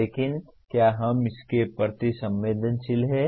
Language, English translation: Hindi, But are we sensitized to that